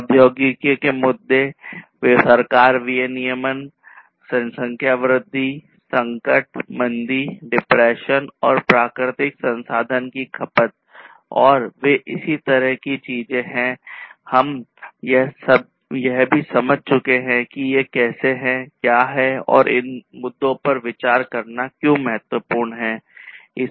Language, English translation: Hindi, Issues of technology, government regulation, growth of population, crisis, recession, depression, and consumption of natural resources, and they are corresponding things also we have understood that how these, what are these different issues and what are what is important for consideration of these different issues